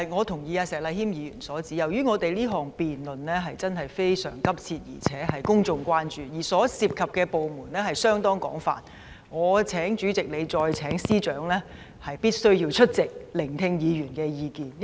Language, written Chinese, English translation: Cantonese, 我同意石禮謙議員的意見，由於這項議案辯論的問題實在非常迫切，而且廣受公眾關注，加上涉及的部門廣泛，我請主席再次聯絡司長，邀請他們務必出席辯論，聆聽議員的意見。, I share Mr Abraham SHEKs view . As the issues to be discussed in this motion debate are indeed of utmost urgency and great public concern they also involve a large number of departments at the same time I would like to ask the President to liaise with the Secretary once again and ask them to attend the debate and to listen to the views of the Members